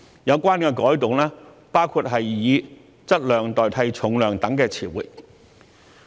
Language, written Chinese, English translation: Cantonese, 有關改動包括以"質量"代替"重量"等詞彙。, Such changes include replacing the term weight with mass